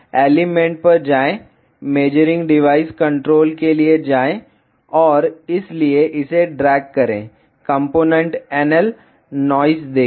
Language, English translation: Hindi, Go to elements, go to measuring devices controls and so drag this, see the component NL noise